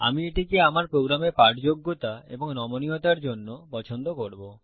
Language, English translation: Bengali, I prefer it for readability and flexibility for my program